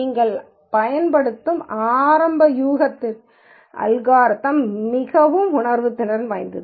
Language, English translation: Tamil, The algorithm can be quite sensitive to the initial guess that you use